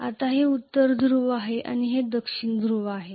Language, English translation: Marathi, Now this is the North Pole and this is the South Pole